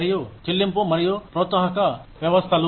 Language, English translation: Telugu, And, pay and incentive systems